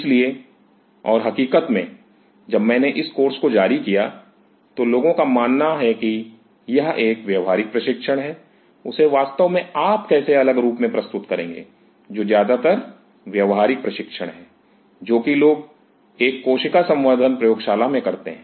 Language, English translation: Hindi, So, and as a matter of fact when I floated this course there are people has been that that is a practical training how really want to you know put a cross a course which is mostly a practical training people have cell culture labs